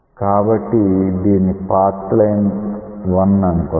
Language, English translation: Telugu, So, this is the path line 1 say